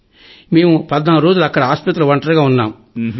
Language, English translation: Telugu, And then Sir, we stayed at the Hospital alone for 14 days